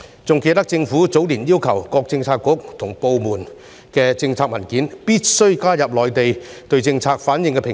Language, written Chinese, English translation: Cantonese, 還記得政府早年要求各政策局和部門，必須在政策文件中加入內地對政策的反應評估。, I remember that in the early years the Government required all Policy Bureaux and departments to include in their policy documents an assessment of the implication of policies on the Mainland